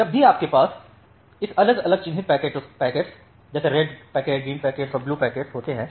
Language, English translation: Hindi, So, whenever you have this different marked packets by like, the red packets, green packets, and the blue packets